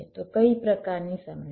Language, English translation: Gujarati, so what kind of problems